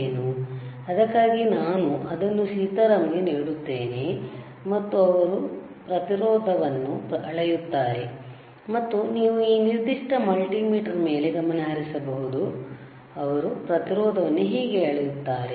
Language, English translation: Kannada, So, for that I will give it to Sitaram, and let him measure the resistance, and you can you focus on this particular multimeter, how he is measuring the resistance, all right